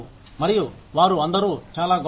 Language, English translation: Telugu, And, they are all, so great